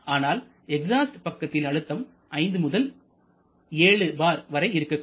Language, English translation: Tamil, Whereas on the exhaust side say I have mentioned the pressure typically ranges from 5 to 7 bar